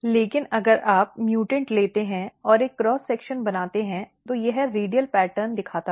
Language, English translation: Hindi, But if you take the mutant and make a cross section it look so it looks more kind of radial pattern